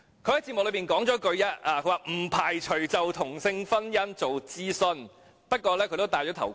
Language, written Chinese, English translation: Cantonese, "雖然她在節目中也說了一句："不排除就同性婚姻做諮詢"，不過她也"戴頭盔"。, Though she mentioned in the programme that she would not rule out consultation on same sex marriage she also wanted to play safe